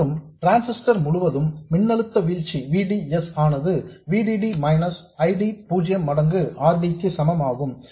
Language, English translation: Tamil, And the voltage drop across the transistor, VDS, the operating point VDS equals VD minus ID0 times RD